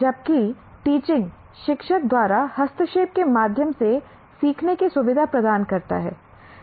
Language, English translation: Hindi, Whereas teaching is facilitating learning through interventions by the teacher